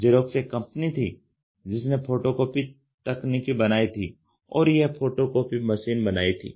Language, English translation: Hindi, Xerox was the company which made this photocopying technology or the photocopying device